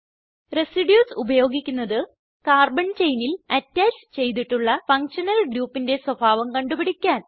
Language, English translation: Malayalam, Residues are used to, * Find the nature of functional group attached to carbon chain